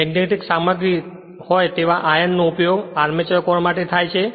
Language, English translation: Gujarati, Iron being the magnetic material is used for armature core